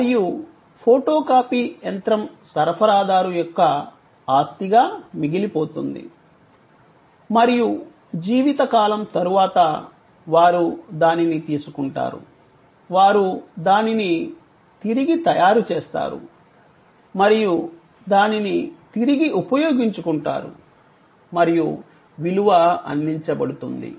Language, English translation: Telugu, And the photocopy machine remains the property of the supplier and after a certain time of life, they take it, they remanufacture it, and reuse it and the value is provided